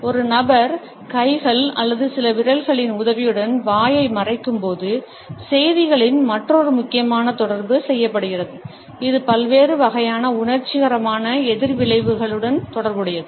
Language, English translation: Tamil, Another important communication of messages is done when a person covers the mouth with the help of hands or certain fingers and this is also associated with different types of emotional reactions